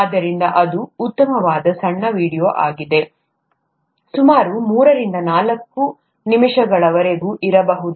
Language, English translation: Kannada, So that's a nice small video, may be about three to four minutes long